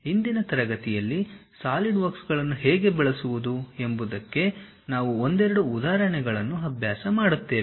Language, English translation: Kannada, In today's class we will practice couple of examples how to use Solidworks